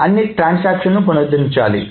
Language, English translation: Telugu, So all the transaction needs to be redone